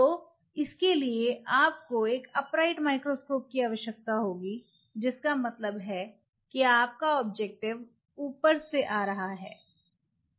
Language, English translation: Hindi, So, 4 dag you will be needing an upright microscope means, you have this objective which is coming from the top